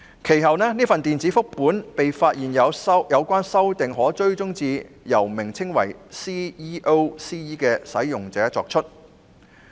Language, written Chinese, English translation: Cantonese, 其後，這份電子複本的有關修訂，經"追蹤修訂"功能可發現是由名為 "CEO-CE" 的使用者作出。, Subsequently with the track changes feature enabled the amendments on the electronic copies have been found to be made by a user named CEO - CE